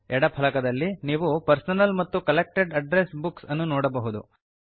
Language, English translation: Kannada, In the left panel, you can see both the Personal and Collected Address Books